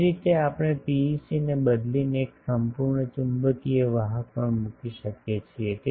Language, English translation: Gujarati, Similarly, we have a we can also put instead of PEC a perfect magnetic conductor